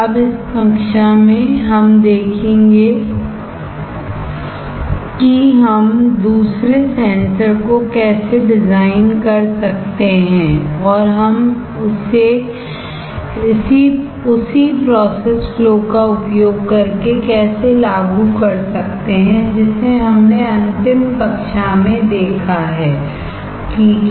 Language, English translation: Hindi, Now, in this class let us see how we can design another sensor and how we can implement it using the same process flow which we have seen in the last class, alright